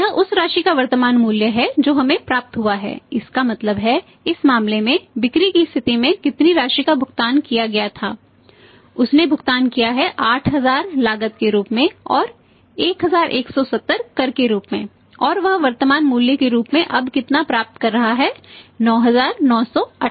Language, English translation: Hindi, This is the present value of the amount we have received it means in this case how much amount was paid at the point of sale he has paid it is at 8000 is a cost and 1170 as the tax and how much is receiving now as the present value 9988